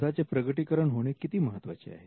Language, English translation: Marathi, How important is the disclosure